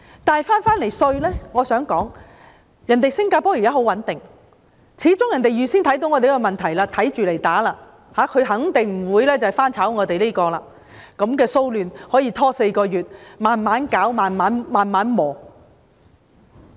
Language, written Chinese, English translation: Cantonese, 但是，說回稅務，我想說，新加坡現時很穩定，始終它預見了我們的問題，因應對付，肯定不會重蹈我們的覆轍，讓這樣的騷亂拖延4個月，"慢慢攪、慢慢磨"。, I would like to say that Singapore is now very stable . After all it has foreseen our problems and addressed them accordingly . It certainly will not repeat our mistake of letting such unrest drag on for four months and gradually take its toll